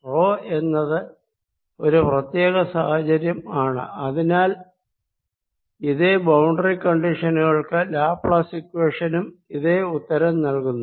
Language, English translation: Malayalam, and rho equals zero is just special case and therefore laplace equation, also given boundary conditions, gives me the same answer